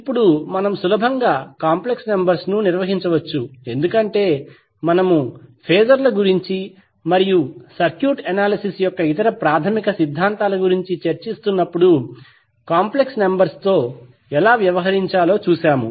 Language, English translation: Telugu, Now the complex numbers we can easily handle because we have already discussed how to deal with the complex numbers when we were discussing about the phasors and the other fundamental theorems of the circuit analysis